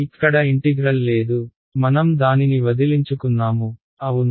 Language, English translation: Telugu, There is no there is no integral over here we got rid of it, yes